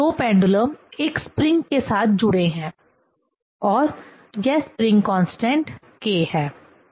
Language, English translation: Hindi, Now, this two pendulum is coupled with a spring and this spring constant is k